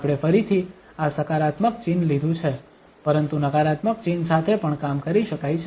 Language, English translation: Gujarati, We have taken again this positive sign but one can work with the negative sign as well